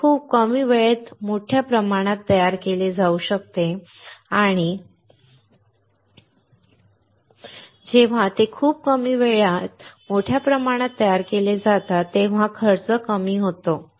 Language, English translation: Marathi, It can be manufactured in bulk in very less time and when these are manufactured in bulk in very less time will result in low cost